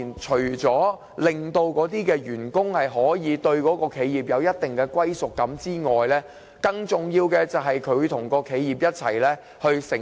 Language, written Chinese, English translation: Cantonese, 除了令員工對企業有一定歸屬感外，更重要的是企業能與員工甘苦與共。, Apart from giving employees a sense of belonging more importantly these SMEs are willing to share weal and woe with employees